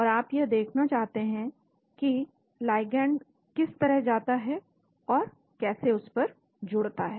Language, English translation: Hindi, And you want to look at how the ligand goes and binds to that